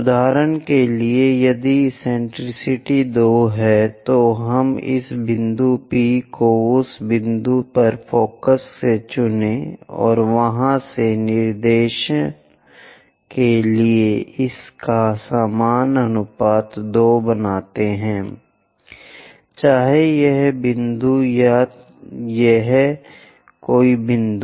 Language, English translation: Hindi, For example, if eccentricity is 2, let us pick this point P from focus to that point and from there to directrix its makes equal ratio 2, whether this point or this or any point